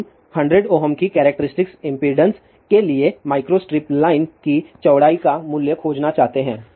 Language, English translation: Hindi, So, what we want we want to find the value of micro strip line width for characteristic impedance of 100 ohm